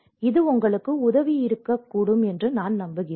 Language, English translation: Tamil, I hope this is helpful for you